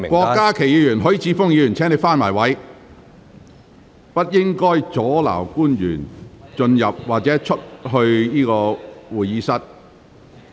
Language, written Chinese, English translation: Cantonese, 郭家麒議員和許智峯議員，請返回座位，不要阻礙官員進入或離開會議廳。, Dr KWOK Ka - ki and Mr HUI Chi - fung please return to your seats and do not obstruct officials while they are entering or leaving the Chamber